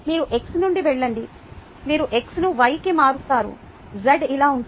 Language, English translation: Telugu, you go from x, you turn x to y